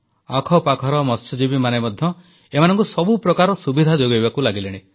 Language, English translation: Odia, Local fishermen have also started to help them by all means